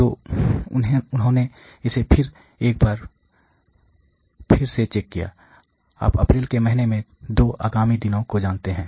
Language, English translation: Hindi, So, they again checked it once in a while for again, you know 2 subsequent days in the month of April